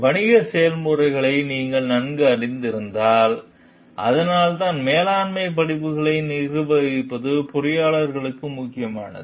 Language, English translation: Tamil, And if you know the business processes well, then that is why like the managing management courses are important for engineers